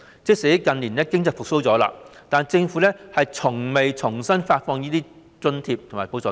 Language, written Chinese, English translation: Cantonese, 即使近年經濟已經復蘇，但政府卻從未重新發放這些津貼和補助金。, Even though the economy has recovered in recent years the Government has not issued these grants and supplements anew